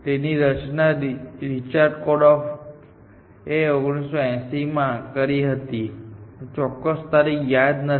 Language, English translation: Gujarati, It was formed by Korf, Richard Korf 1980’s something, I do not remember exact date